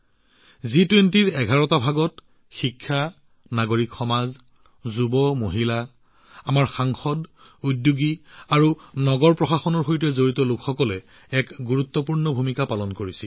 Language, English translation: Assamese, Among the eleven Engagement Groups of G20, Academia, Civil Society, Youth, Women, our Parliamentarians, Entrepreneurs and people associated with Urban Administration played an important role